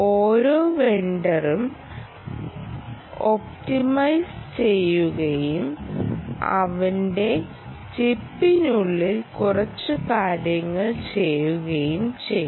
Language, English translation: Malayalam, each vendor will optimize and do a few things inside his chip and ah there are